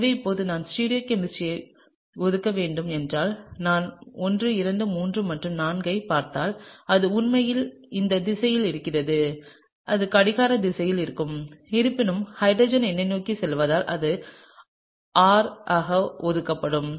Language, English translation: Tamil, So, now if I have to assign the stereochemistry; if I look at 1 2 3 and 4 then it’s actually in this direction and that would be anti clockwise; however, since hydrogen is pointing towards me this would be assigned as R, okay